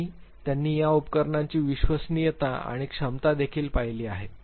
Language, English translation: Marathi, And also they have looked at the reliability and the ability of these tools